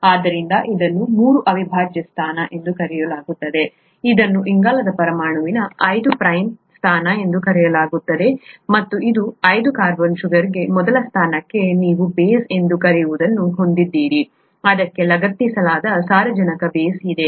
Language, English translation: Kannada, So this is called the three prime position, this is called the five prime position of the carbon atom and to this five carbon sugar, to the first position, you have what is called as a base, a nitrogenous base that is attached to it